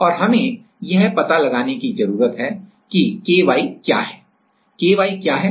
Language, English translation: Hindi, And what we need to find out what we need to found out find out is what is Ky